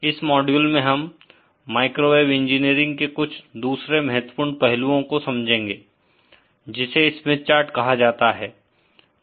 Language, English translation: Hindi, In this module we are going to cover other important aspects of microwave engineering, this is known as the Smith chart